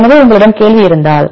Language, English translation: Tamil, So, if you have a query